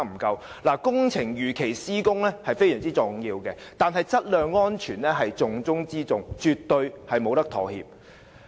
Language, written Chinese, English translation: Cantonese, 工程如期施工十分重要，但質量安全是重中之重，絕對不能妥協。, While it is very important to complete the works as scheduled quality and safety are the top priorities which cannot be compromised